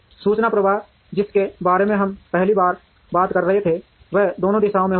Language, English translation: Hindi, Information flow which we were talking about for the first time will happen in both directions